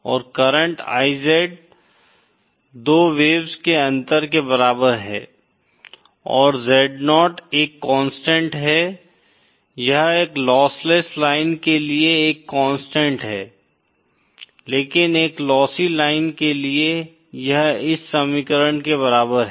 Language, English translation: Hindi, And the current IZ is equal to the difference of 2 waves and the Zo is a constant, it is a constant for a lossless line but for a lossy line, it is equal to this equation